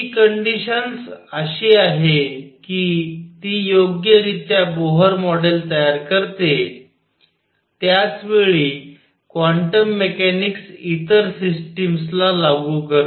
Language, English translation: Marathi, This condition is such that it correctly it produces Bohr model at the same time makes quantum mechanics applicable to other systems